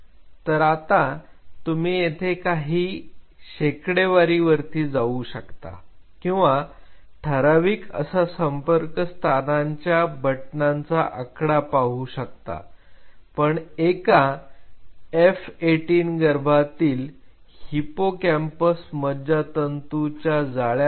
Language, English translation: Marathi, And here you are either you go by percentage or absolute count of synaptic buttons in a random F18 fetal 18 hippocampal neuron networks